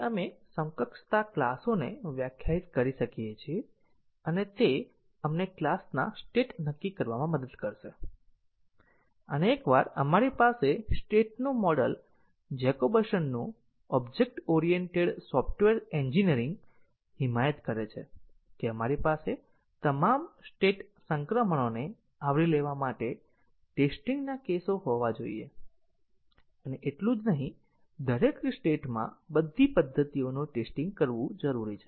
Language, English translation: Gujarati, So, we can define equivalence classes and that will help us determine the states of the class and once we have the state model Jacobson’s object oriented software engineering advocates that we have to have test cases to cover all state transitions and not only that in each state all the methods have to be tested